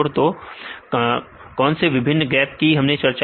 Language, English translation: Hindi, What are all different types of gaps we discussed